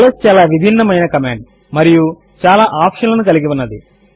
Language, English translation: Telugu, ls is a very versatile command and has many options